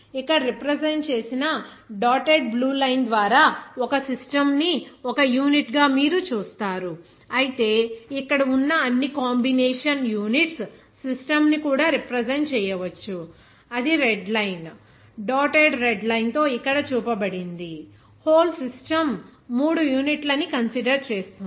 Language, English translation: Telugu, Here, you will see that by the dotted blue line that represented is a unit as a system whereas you can represent the system of combination of all those units also like here red line, dotted red line is shown here that considered that the whole system considering all these 3 units there